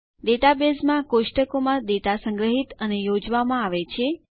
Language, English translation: Gujarati, A database has data stored and organized into tables